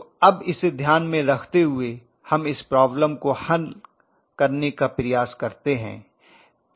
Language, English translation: Hindi, So now with this in mind let us try to do this problem